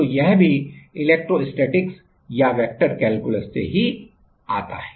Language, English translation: Hindi, So, it is also comes from electrostatics or vector calculus